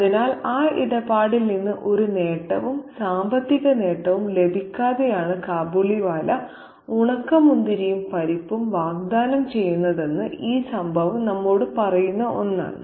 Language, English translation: Malayalam, So, this incident is something that kind of tells us that the cabulaywala is offering raisins and nuts without getting any benefit, financial benefit from that transaction